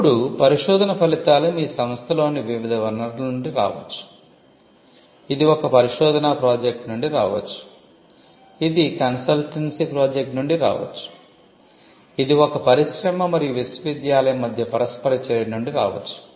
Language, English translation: Telugu, Now, the research results may come from different sources within your institution, it may come from a research project, it may come from a consultancy project, it could come from interaction between an industry client and the university